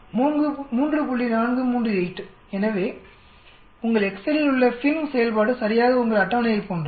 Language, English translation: Tamil, 438, so exactly FINV function here in your excel is exactly like your table